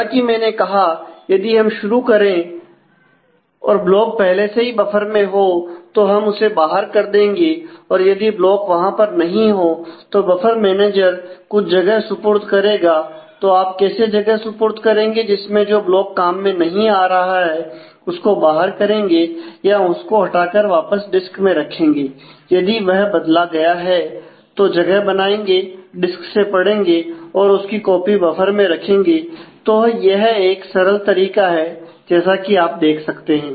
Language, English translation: Hindi, So, as I said if we if we start if the block is already there in the buffer, then that is given out if the block is not there in the buffer the buffer manager will need to allocate some space how do you allocate space by throwing out some other block which is not required or replace the; then replace the block return back to disk and if it was modified and make space free and then read from the disk and keep a copy in the buffer